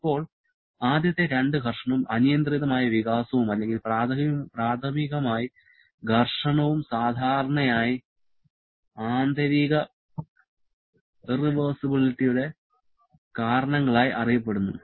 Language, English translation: Malayalam, Now, the first two friction and unrestrained expansion or primarily friction are generally referred as the reasons for internal irreversibility